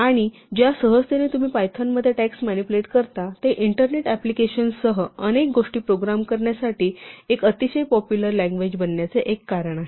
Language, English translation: Marathi, And the ease in which you can manipulate text in python is one of the reasons why it has become a very popular language to program many things including internet applications